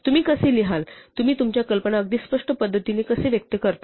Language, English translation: Marathi, How do you write, how do you express your ideas in the most clear fashion